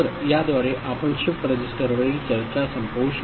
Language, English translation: Marathi, So, with this we conclude the discussion on shift register